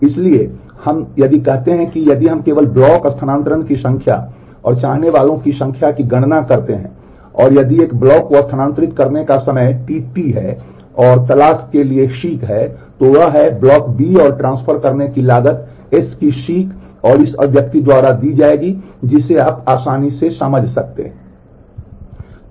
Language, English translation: Hindi, So, if we say that if we just count the number of block transfers and the number of seeks and if the time to transfer one block is t T and time for seek is one seek is t S, then the cost of transferring b blocks doing and doing S seek will be given by this expression you can easily understand that